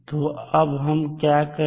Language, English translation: Hindi, So, now what we will do